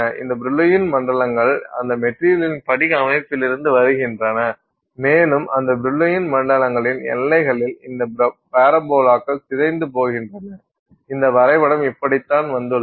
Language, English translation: Tamil, So you have these Brillwan zones that, so this Brillwan zones are coming from the crystal structure of that material and at the boundaries of those Brillworn zones these parabolas distort and that is how this diagram has come about